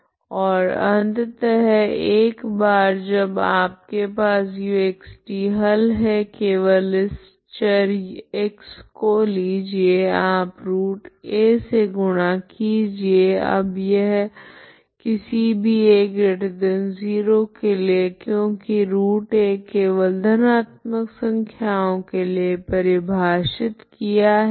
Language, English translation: Hindi, And finally you once you have ux is solution just simply take this x variable you multiply root a now this is for any a positive because root a is defined only for positive number